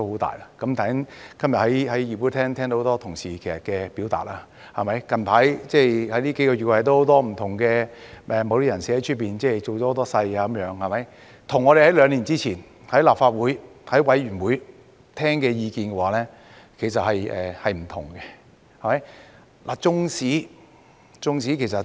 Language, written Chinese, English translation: Cantonese, 大家今日在議會聽到很多同事表達意見，最近幾個月，有很多不同人士在外面造勢，與我們兩年前在立法會或委員會內所聽到的意見其實是不同的。, Today we have heard many Honourable colleagues express their views in the Legislative Council . In recent months many different people have tried to rally support outside representing such a view which is in fact different from what we heard in the Council or in the committee two years ago